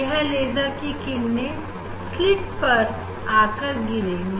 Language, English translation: Hindi, this laser beam is falling on the slit